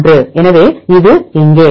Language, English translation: Tamil, 021 so this here